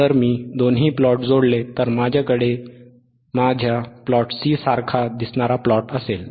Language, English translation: Marathi, If I join both plots, I will have plot which looks like this, right, which is my plot C, right